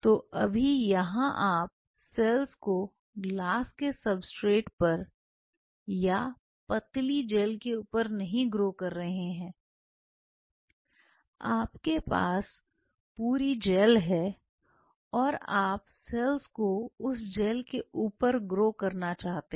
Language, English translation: Hindi, So, here you have no more growing the cells not on a glass substrate with thin film or a thin film or a thin gel you are having the whole gel and you want to grow the cells on the gel